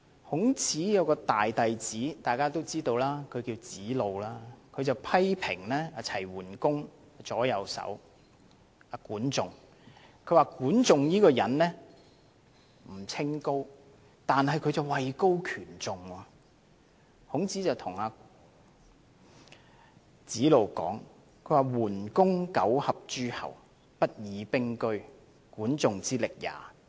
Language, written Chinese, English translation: Cantonese, 大家都知道，孔子的大弟子名為子路，他批評齊桓公的左右手管仲人不清高，但卻位高權重，於是孔子對子路說："桓公九合諸候，不以兵車，管仲之力也！, As Members may be aware Zi Lu the eldest disciple of Confucius once criticized that Guan Zhong the aide of Duke Huan was not a noble person but held a high position . Confucius then said to Zi Lu The Duke Huan assembled all the princes together and that not with weapons of war and chariots―it was all through the influence of Guan Zhong